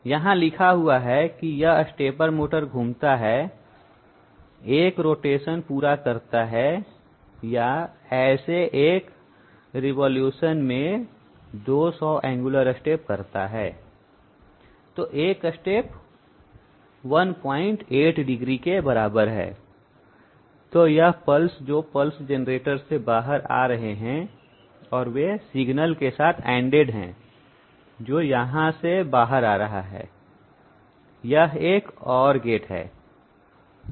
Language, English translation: Hindi, It is written here, this stepper motor rotates carries out one rotation or one evolution in 200 such angular steps, so that one step is equal to 1 points 8 degree, so these pulses are coming out on the pulse generator and they are ANDED with a signal, which is coming out from here, this is an OR gate